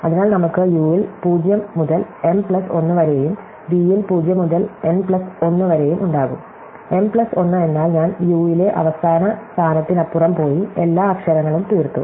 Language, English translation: Malayalam, So, we will have positions 0 to m plus 1 in u and 0 to n plus 1 in v, so m plus 1 means I have gone beyond the last position in u and exhausted all the letters